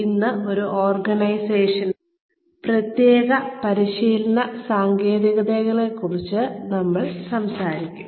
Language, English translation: Malayalam, Today, we will talk more about, the specific training techniques, in an organization